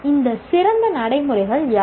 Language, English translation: Tamil, What are these best practices